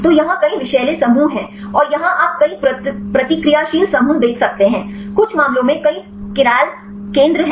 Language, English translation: Hindi, So, here are several toxic groups and here you can see several reactive groups; some cases multiple chiral centers